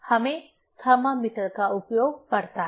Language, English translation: Hindi, We have to use the thermometers